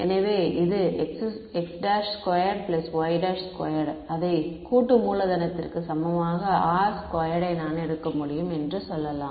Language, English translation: Tamil, So, this x prime square plus y prime square I can take it to be equal to sum capital R squared let us say ok